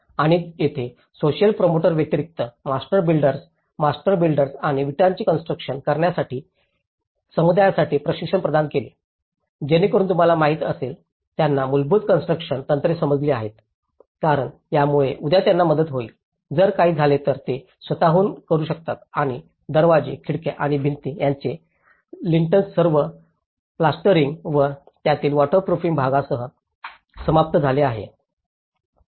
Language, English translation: Marathi, And here, the master builders apart from the social promoters, the master builders and the bricklayers have provided training for the communities so that you know, they understand the basic construction techniques because that will help them tomorrow, if something happens they can do by themselves and the lintels of the doors and windows and the walls has been finished with all the plastering and the waterproofing part of it